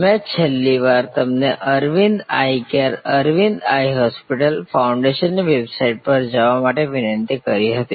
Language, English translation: Gujarati, I had requested you last time to go to the website of Aravind Eye Care, Aravind Eye Hospital, the foundation